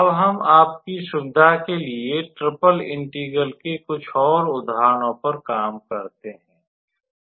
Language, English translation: Hindi, And then we will also look into some more examples motivated from triple integral